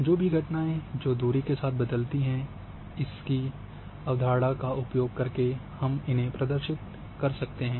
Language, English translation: Hindi, Whatever the phenomena which varies the distances can be represented using the same concept